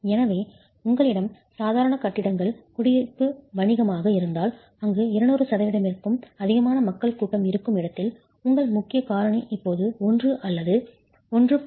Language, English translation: Tamil, Therefore if you have ordinary buildings, residential, commercial, where the occupancy is more than 200% where you have a large congregation of people, it requires that your important factor is now no longer 1 but 1